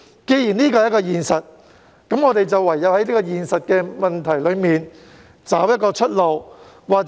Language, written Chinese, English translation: Cantonese, 既然這是現實，我們唯有在現實中尋找出路。, Since this is the reality what we have to do is to find a way out in reality